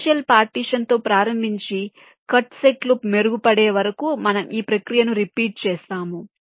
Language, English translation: Telugu, starting with a initial partition, we repeat iteratively the process till the cutsets keep improving